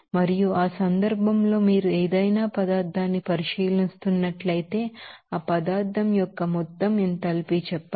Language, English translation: Telugu, And in that case, the total enthalpy of that substance, if you are considering any substance say